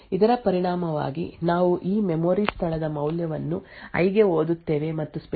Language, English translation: Kannada, As a result we would have this statement reading the value of this memory location into i and speculatively accessing array[i * 256]